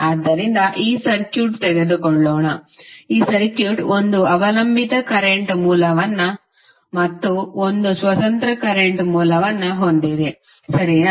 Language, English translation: Kannada, So, let us take this circuit, this circuit contains one dependent current source and one independent current source, right